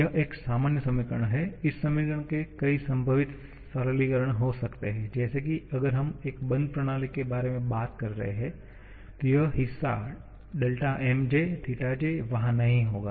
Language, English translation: Hindi, This is a general equation, there can be several possible simplifications of this equation like if we are talking about a closed system, then this part will not be there